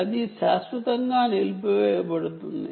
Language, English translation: Telugu, it will permanently disabled anytime